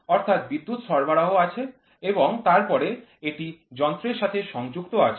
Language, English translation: Bengali, So, the power supply had and then this is attached to a machine